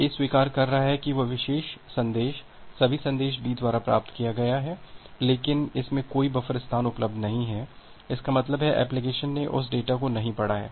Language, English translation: Hindi, The A is acknowledging that that this particular message, all the message has been received by B, but it does not have any buffer space available; that means, the application has not read that data